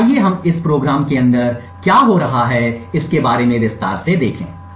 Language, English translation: Hindi, So, let us look a little more in detail about what is happening inside this program